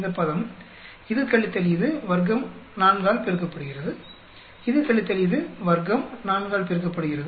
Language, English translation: Tamil, This term; this minus this, square, multiply by 4, this minus this, square, multiply by 4